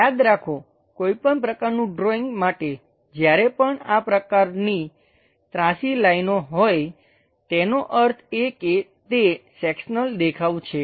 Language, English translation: Gujarati, Remember for any drawing whenever such kind of incline lines are there; that means, it is a cut sectional view